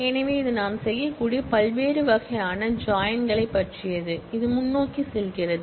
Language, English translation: Tamil, So, that was about different kinds of join that we can do, which we going forward